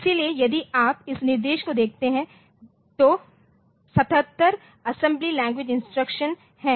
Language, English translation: Hindi, there are 77 assembly language instructions